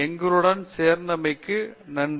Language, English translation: Tamil, So, thank you for joining us